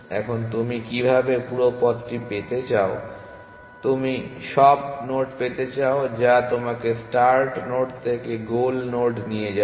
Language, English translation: Bengali, Now, how what do you do you want the whole path you want all the nodes which take you from the start node to the goal node essentially